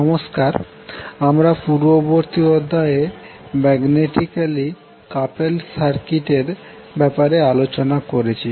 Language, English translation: Bengali, Namaskar, so in last session we discussed about the magnetically coupled circuit